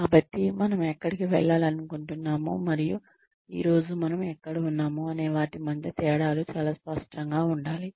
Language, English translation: Telugu, So, the differences between, where we want to go, and where we are today need to be very very clear